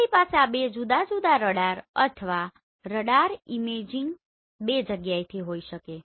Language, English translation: Gujarati, We can have this two different radar or radar imaging from two places right